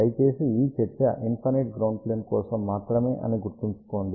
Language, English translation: Telugu, Please remember this discussion is only for infinite ground plane